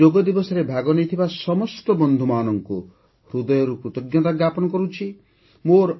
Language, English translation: Odia, I express my heartfelt gratitude to all the friends who participated on Yoga Day